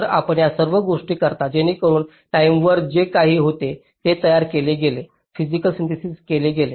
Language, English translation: Marathi, so you do all these things so that these timing constraints, whatever was there was made, physical synthesis is done